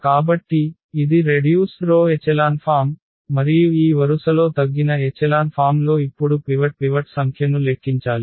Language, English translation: Telugu, So, this is the row reduced echelon form, and in this row reduced echelon form we have to count now the number of the pivots